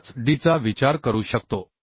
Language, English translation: Marathi, 5d that means 2